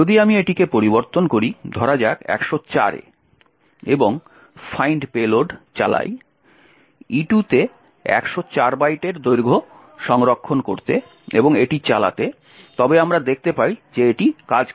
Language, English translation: Bengali, If I change this to say 104, run the fine payload, store the length of E2 of 104 byte is in E2 and run it you see that it works so 104 is not going to solve our problem